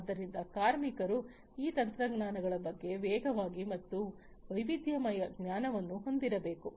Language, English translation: Kannada, So, workers should have fast and diverse knowledge about these technologies